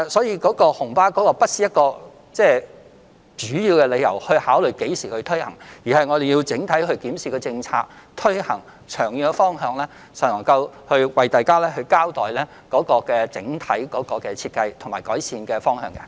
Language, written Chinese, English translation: Cantonese, 因此，紅巴不是主要的考慮因素，我們要考慮推行政策的長遠方向，然後才能向大家交代整體設計和改善方法。, Therefore the red minibus is not the major factor for consideration . We have to consider the long - term direction of policy implementation before giving an account of the overall design and improvement methods